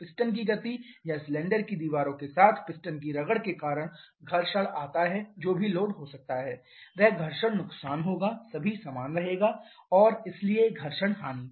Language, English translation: Hindi, Friction comes because of the movement of piston or rubbing of piston with cylinder walls, whatever load that may be the friction loss will all will remain the same and hence the friction loss